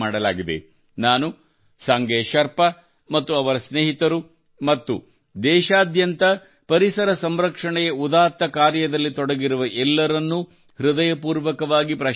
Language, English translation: Kannada, Along with Sange Sherpa ji and his colleagues, I also heartily appreciate the people engaged in the noble effort of environmental protection across the country